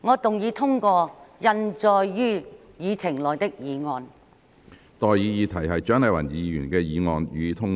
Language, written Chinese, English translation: Cantonese, 我現在向各位提出的待議議題是：蔣麗芸議員動議的議案，予以通過。, I now propose the question to you and that is That the motion moved by Dr CHIANG Lai - wan be passed